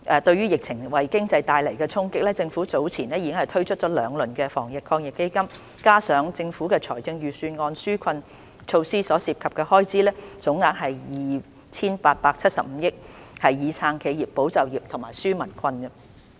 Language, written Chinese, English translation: Cantonese, 對於疫情為經濟帶來的衝擊，政府早前已推出兩輪防疫抗疫基金措施，加上財政預算案紓困措施，所涉及的開支總額為 2,875 億元，以撐企業、保就業及紓解民困。, As regards the impact brought by the epidemic to the economy the Government has previously launched two rounds of measures under the Fund on top of the relief measures in the Budget which involve a total cost of 287.5 billion to support enterprises safeguard jobs and relieve peoples burden